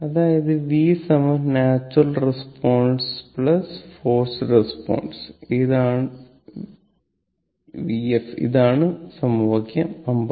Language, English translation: Malayalam, That means v is equal to natural response v n plus forced response v f this is the equation 59 right